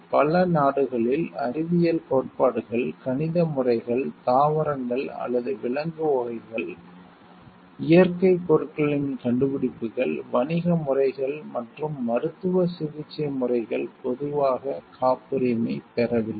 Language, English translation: Tamil, In many countries, scientific theories, mathematical methods, plants animal’s varieties, discoveries of natural substances commercial methods and methods of medical treatment are not generally patentable